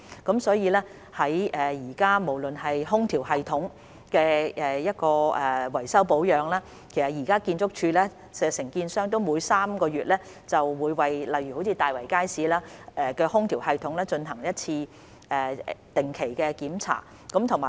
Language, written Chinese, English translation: Cantonese, 現時，在空調系統的維修保養方面，建築署的承建商會每3個月為例如大圍街市的空調系統，進行一次定期檢查。, At present for the maintenance of air - conditioning systems ArchSDs contractors carry out regular inspections of the air - conditioning system in Tai Wai Market for example once every three months